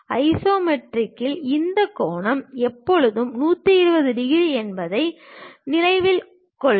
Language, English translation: Tamil, And note that in the isometric, this angle always be 120 degrees